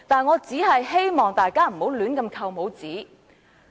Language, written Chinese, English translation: Cantonese, 我只是希望大家不要亂扣帽子。, I only hope that Members will not rashly pin labels on others